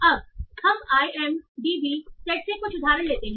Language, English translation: Hindi, Now let's take some example from IMDB data site